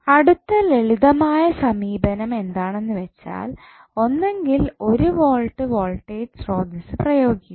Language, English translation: Malayalam, So, next the simple approach is either you apply 1 volt voltage source or 1 ampere current source